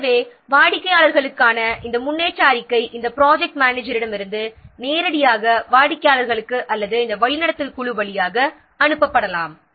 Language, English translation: Tamil, So, these progress report for the clients may be directly sent from this project manager to the clients or via this steering committee